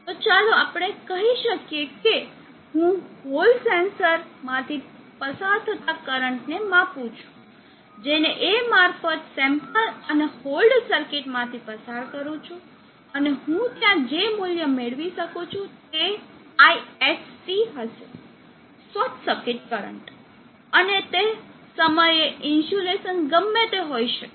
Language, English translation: Gujarati, So let us say I measure that current through a hall sensor pass A through a sample and hole, and the value that I would get there would be ISC, the short circuit current and that instant of time whatever the insulation at that instant of the time